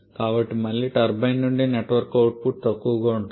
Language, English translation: Telugu, So, again the net work output from the turbine will be lower